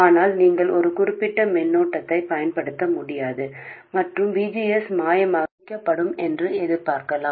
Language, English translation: Tamil, But you can't apply a certain current and expect that VGS will be magically formed